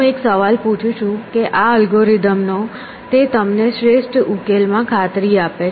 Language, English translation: Gujarati, I am asking the question that this algorithm does it guarantee you an optimal solution